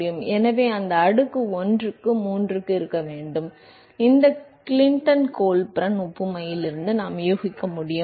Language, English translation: Tamil, So, that exponent should actively be 1 by 3, we could guess from this Clinton Colburn analogy